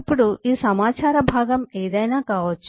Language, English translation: Telugu, now, this chunk of information could be anything